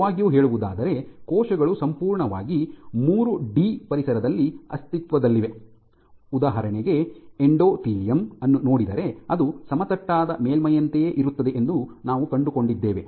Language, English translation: Kannada, So, truly speaking inside or what is cells exist in a completely three d environment, but there are also cases for example, if you look at the endothelium where it is more like a flat surface